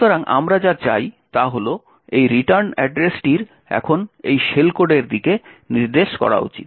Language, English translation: Bengali, So, what we want is that this return address should now point to this shell code